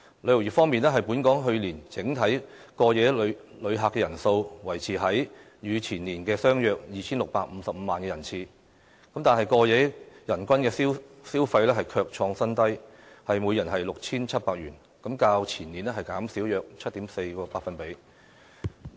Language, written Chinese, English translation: Cantonese, 旅遊業方面，本港去年整體過夜旅客人數，維持在與前年相若的 2,655 萬人次，但過夜人均消費卻創新低，約 6,700 元，較前年減少約 7.4%。, On tourism figures the number of overall overnight visitor arrivals of last year is similar to that of two years ago except that the overnight per capita spending hit a record low at around 6,700 7.4 % down from that of two years ago